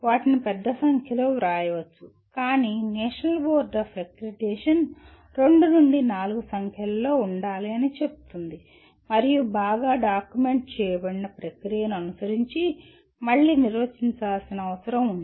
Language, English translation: Telugu, One can write large number of them, but the National Board Of Accreditation specifies there should be two to four in number and need to be defined again following a well documented process